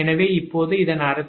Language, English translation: Tamil, right, so that means k, n two is equal to six